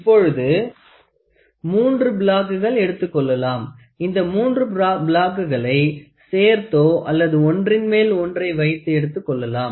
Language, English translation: Tamil, So, now, 3 blocks are taken and these 3 blocks they are attached or they are placed one above each other